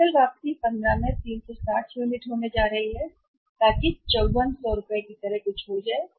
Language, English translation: Hindi, Gross return is going to be 360 units into 15 so that is going to be something like 5400 rupees